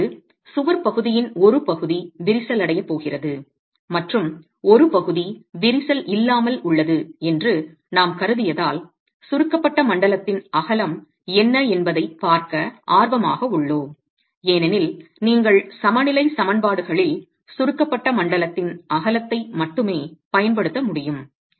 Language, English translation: Tamil, And now since we have assumed that part of the wall section is going to be cracked and part is uncracked, we are interested in looking at what is the compressive length of the width of the compressed zone because you can use only the width of the compressed zone in your equilibrium equations